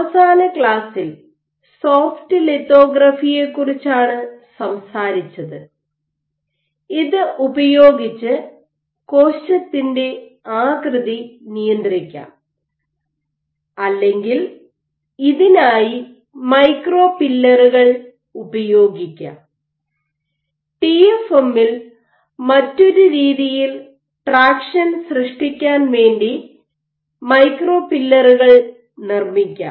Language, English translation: Malayalam, And the last class spoke about Soft lithography and using this you can regulate cell shape or you can use micro pillars, you can fabricate micro pillars for traction as an alternative to TFM